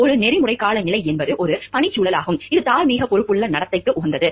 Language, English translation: Tamil, An ethical climate is a working environment and which is conducive to morally responsible conduct